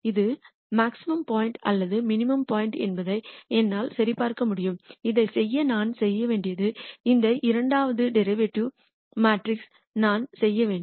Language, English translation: Tamil, I can check whether this is a maximum point or a minimum point, to do that what I have to do is I have to do this second derivative matrix